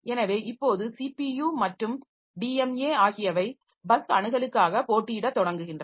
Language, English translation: Tamil, So, now the CPU and DMA, they start competing for the bus access and that restrict the system performance